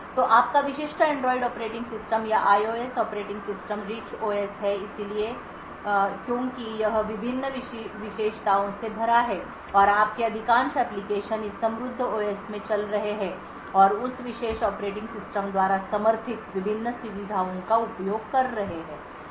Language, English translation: Hindi, So your typical Android operating system or the IOS operating system is the Rich OS so we call this the Rich OS because it is filled with various features and most of your applications would be running in this rich OS and making use of the various features that are supported by that particular operating system